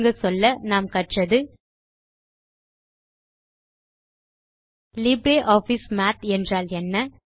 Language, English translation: Tamil, To summarize, we learned the following topics: What is LibreOffice Math